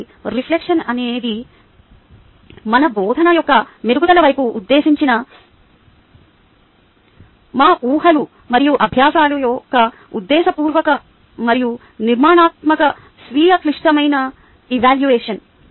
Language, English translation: Telugu, so reflection is the deliberate and structured self critical evaluation of our assumptions and practices directed towards improvement of our teaching